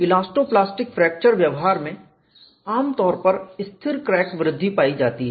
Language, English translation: Hindi, In elasto plastic fracture behavior, stable crack growth is usually observed